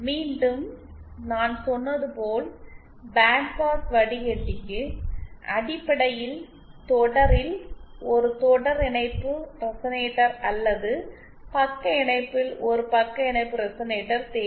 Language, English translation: Tamil, Again as I said, band pass filter essentially needs a series resonator in series or a shunt resonator in shunt